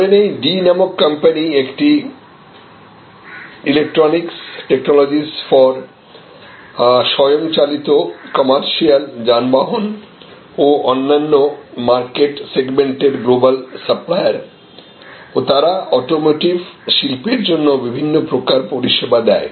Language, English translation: Bengali, But, let us say this company D is a global supplier of electronics and technologies for automotive, commercial vehicles and other market segments and they provide various types of services to the automotive industry